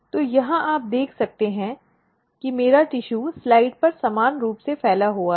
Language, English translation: Hindi, So, here you can see that my tissue is spread evenly on the slide